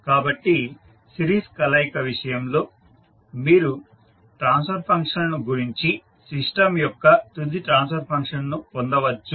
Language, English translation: Telugu, So in case of series combination you can multiply the transfer functions and get the final transfer function of the system